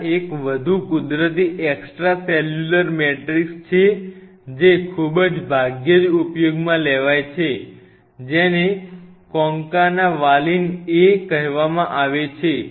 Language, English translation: Gujarati, There is one more natural extracellular matrix which is very rarely used, which is called Concana Valin A